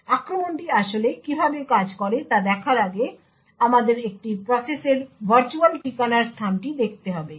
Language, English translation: Bengali, So, before we go into how the attack actually works, we would have to look at the virtual address space of a process